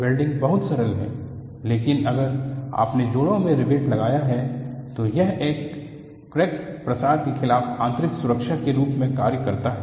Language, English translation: Hindi, Welding is lot more simpler, but if you have riveted joints, it serves as in built safety against crack propagation